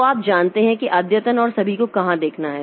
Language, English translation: Hindi, So, you know where to look for the update and all